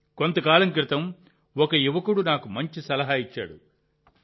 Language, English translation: Telugu, Some time ago a young person had offered me a good suggestion